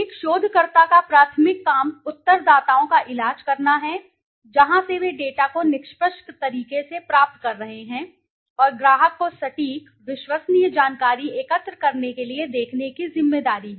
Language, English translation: Hindi, The primary job of a researcher is to treat the respondents, the people from where they are getting the data in a fair manner and has a responsibility to look the client to gather accurate, reliable information